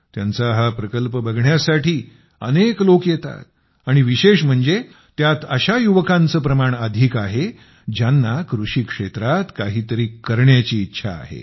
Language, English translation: Marathi, A large number of people are reaching to see this unit, and most of them are young people who want to do something in the agriculture sector